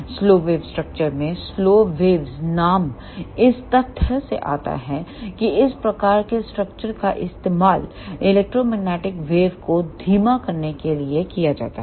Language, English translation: Hindi, In the slow wave structure, the name slow waves comes from the fact that these type of structures are used to slow down the electromagnetic wave